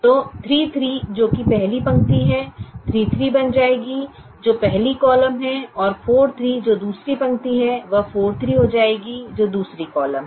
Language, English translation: Hindi, so three, three, which is the first row, will become three, three, which is the first column, and four, three, which is the second row, will become four, three, which is the second column